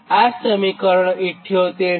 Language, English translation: Gujarati, this is equation seventy eight